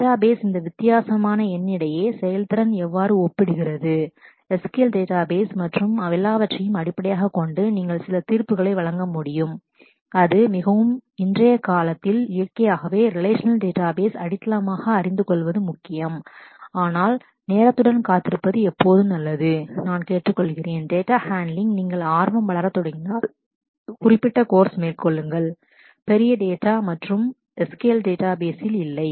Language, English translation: Tamil, Databases what how do how do the performance compare between these different no SQL databases and based on all that you can make some judgment and it is it is very important to in today’s time naturally knowing relational databases the foundational ones are very important, but it is always good to look forward be with the time and I will urge that if you have started growing interest in handling of data do take specific courses on big data and no SQL databases